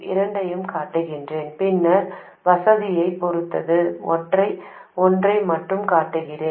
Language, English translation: Tamil, Let me show both and later depending on convenience I will show only one or the other